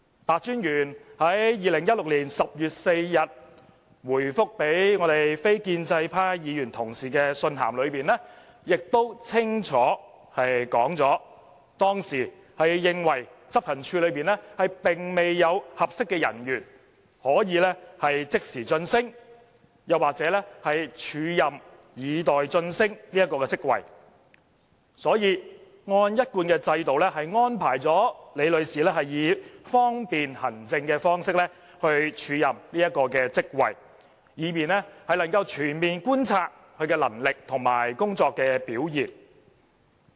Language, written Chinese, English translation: Cantonese, 白專員在2016年10月4日答覆立法會非建制派議員同事的信函中，亦清楚說明當時是認為執行處內並未有合適的人員可以即時晉升或署任以待晉升該職位，所以按一貫制度安排李女士以方便行政的方式署任該職位，以便能夠全面觀察她的能力和工作表現。, In his written reply to Members from the non - establishment camp dated 4 October 2016 Commissioner PEH explained clearly that at the time he was of the view that no one was suitable for immediate promotion or an acting appointment with a view to substantive promotion within the Operations Department so he followed the established practice of offering Ms LI an acting appointment for administrative convenience so that he could thoroughly observe her ability and work performance